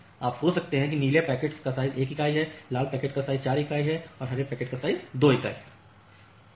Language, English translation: Hindi, You can think of that the blue packets are of size 1 unit the red packets are of size 4 unit and this green packets are of size say 2 units